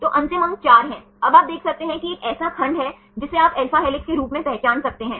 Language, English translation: Hindi, So, final score is 4, now you can see this is a segment you can identify as an alpha helix